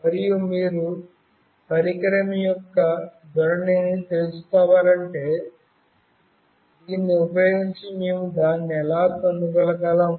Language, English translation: Telugu, And if you want to find out the orientation of a device how we can find it out using this